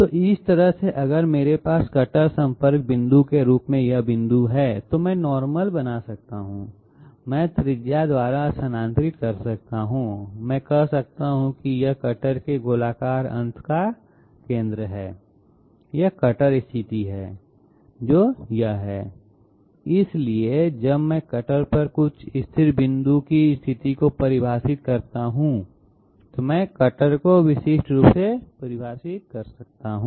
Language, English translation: Hindi, So that way if I have this point as the cutter contact point, I can draw the normal, I can move by the radius, I can say this is the centre of the spherical end of the cutter this is the cutter position that is it, so I can draw the cutter uniquely once I have defined the position of some you know constant point on the cutter